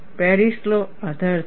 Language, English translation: Gujarati, Paris law is the basis